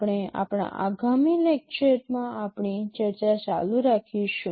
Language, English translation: Gujarati, We shall be continuing with our discussion in our next lecture